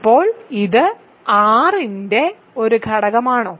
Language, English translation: Malayalam, Now, is this an element of R